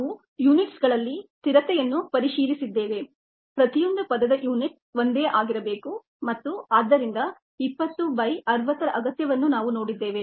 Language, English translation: Kannada, we have checked for the consistency in unit each term having the same system of unit's and the need ah for twenty by sixty